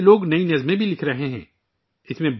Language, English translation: Urdu, Many people are also writing new poems